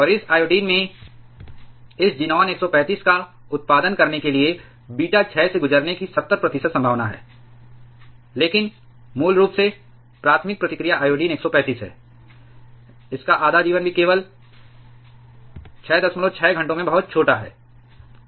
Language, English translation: Hindi, And this iodine has a 70 percent probability of going through a beta decay to produce this xenon 135, but that is basically the primary reaction, iodine 135, its half life is also very small only 6